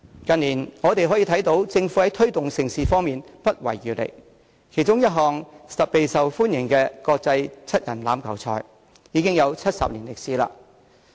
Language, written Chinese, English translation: Cantonese, 近年，我們可以看到政府在推動盛事方面不遺餘力，其中一直備受歡迎的國際七人欖球賽，已有40年歷史。, As we can see the Government has spared no efforts in promoting mega events in recent years including the highly popular Hong Kong Sevens which has a history of 40 years